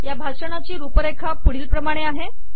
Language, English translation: Marathi, The outline of this talk is as follows